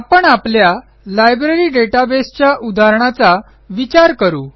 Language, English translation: Marathi, For example, let us consider our familiar Library database example